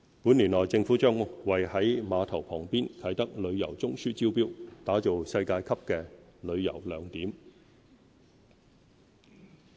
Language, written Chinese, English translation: Cantonese, 本年內政府將為在碼頭旁邊的"啟德旅遊中樞"招標，打造世界級的旅遊亮點。, This year the Government will invite a tender for the Kai Tak Tourism Node in the vicinity of the cruise terminal to develop a world - class tourist attraction